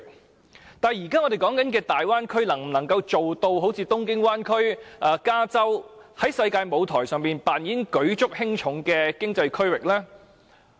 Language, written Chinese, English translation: Cantonese, 不過，我們現在所談論的大灣區能否一如東京灣或加州般，在世界舞台上扮演舉足輕重的經濟區域呢？, In contrast can the Bay Area now under discussion become an important economic region in the global arena like the Tokyo Megalopolis Region or California?